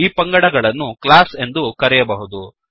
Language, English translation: Kannada, Each group is termed as a class